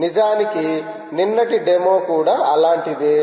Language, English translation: Telugu, in fact the yesterdays demo was also like that